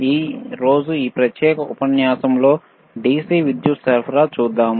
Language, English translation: Telugu, Today in this particular module, let us see the DC power supply